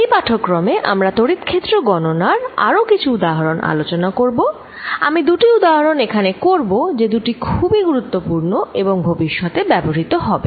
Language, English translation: Bengali, Let us do some more examples of calculating electric field in this lecture, I will do two examples here and both are important and will be used in the future